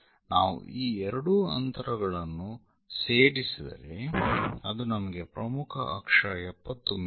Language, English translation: Kannada, So, if we are going to add these two distances, it is supposed to give us major axis 70 mm